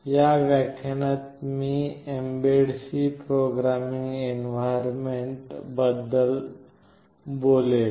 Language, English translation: Marathi, In this lecture I will be talking about mbed C Programming Environment